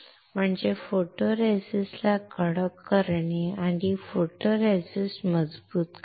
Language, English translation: Marathi, That is to harden the photoresist and make the photoresist stronger